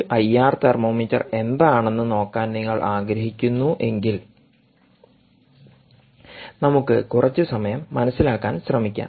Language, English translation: Malayalam, if you really want to look at what a i r thermometer is, let us spend a little time trying to understand